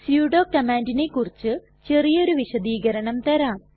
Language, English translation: Malayalam, Let me give you a brief explanation about the sudo command